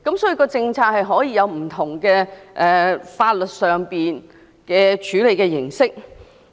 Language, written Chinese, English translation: Cantonese, 所以，政策上可以有不同的法律處理形式。, For that reason we may adopt different legal forms to deal with the issue